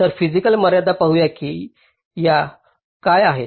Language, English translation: Marathi, so the physical constraint, let see what these are